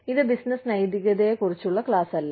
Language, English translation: Malayalam, This is not a class on business ethics